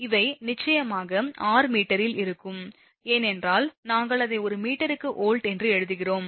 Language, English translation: Tamil, So, these are your of course, r in r will be in meter, because we are writing it is volt per meter